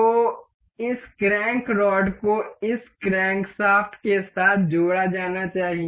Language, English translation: Hindi, So, this this crank rod is supposed to be attached with this crankshaft